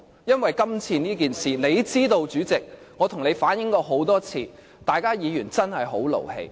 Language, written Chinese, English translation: Cantonese, 因為今次的事件，主席，你也知道，我向你反映過很多次，大家議員真的很勞氣。, President you know very well that we are really angry about this . I have reflected our dissatisfaction to you time and again